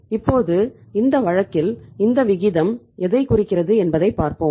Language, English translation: Tamil, Now in this case means what this ratio is indicating